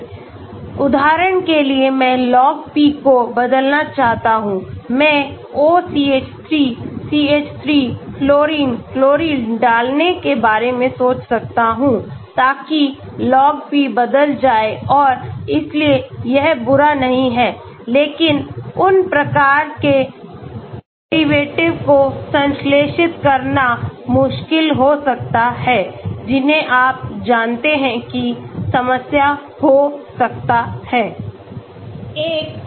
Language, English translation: Hindi, For example, I want to change Log P, I may think of putting OCH3, CH3, fluorine, chlorine so that Log P changes and so that is not bad but it may be difficult to synthesize those type of derivatives you know that may be a problem